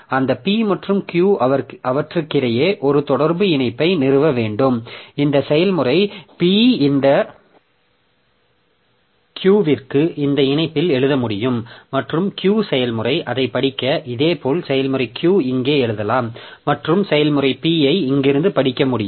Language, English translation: Tamil, So, between them I must establish a communication link between them so that this process P can write onto this Q into this link and process Q can read it